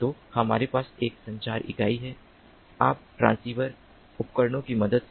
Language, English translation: Hindi, so we have a communication unit, you, with the help of transceiver devices